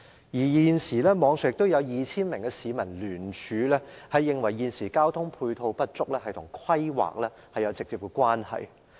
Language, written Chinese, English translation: Cantonese, 現時，網上已有 2,000 名市民聯署，指出現時的交通配套不足是與規劃有直接關係。, So far 2 000 members of the public have already signed up on the Internet saying that the present inadequacy of ancillary transport facilities is directly related to planning